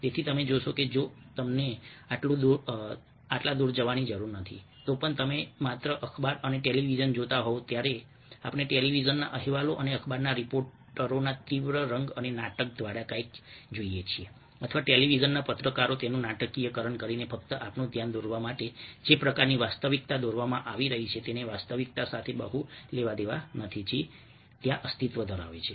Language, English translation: Gujarati, so you see that, if you have, if you have, even if you do not go this far, if you are looking at just the newspaper and the television, when we see something through the heighten, intense colour and drama of the television reports and the newspaper reporters or the television reporters dramatizing it just to draw our attention over the kind of reality which is painted may not have much to do with actually it which exist over there